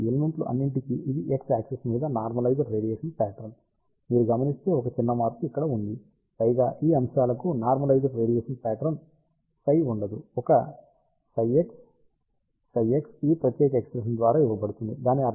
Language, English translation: Telugu, So, this is the normalized radiation pattern for all these elements over here along x axis, notice there is a small change instead of psi there is a psi x psi x is given by this particular expression